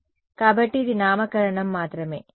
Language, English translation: Telugu, So, this is just nomenclature